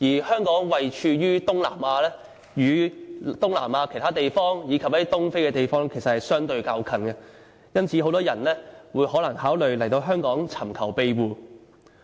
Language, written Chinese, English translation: Cantonese, 香港位處東南亞，與東南亞其他地方，以及一些東非等地相對較近，因此很多來自這些地方的人考慮來香港尋求庇護。, Hong Kong is located in South East Asia so comparatively it is nearer to Southeast Asian countries and regions as well as East African countries . As a result a lot of people from these places want to come and seek asylum in Hong Kong